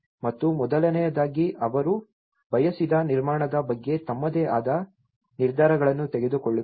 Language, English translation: Kannada, And first of all, making their own decisions about the construction they wanted